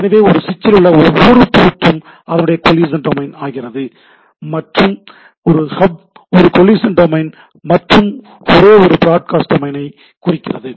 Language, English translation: Tamil, So, each and every port on a switch is own collision domain collision domain and hub represent one collision domain and so forth